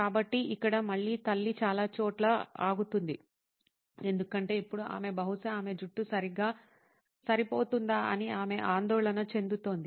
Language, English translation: Telugu, So, here again mom stops at several places because now she is concerned whether she is probably her hair does not fit in correctly as she wants it to be